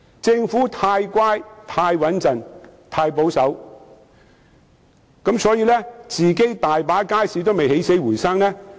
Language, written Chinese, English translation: Cantonese, 政府太乖、太穩重和太保守，大部分其管理的街市仍未起死回生。, Since the Government is too well - behaved too cautious and too conservative the majority of markets under its management have yet to revive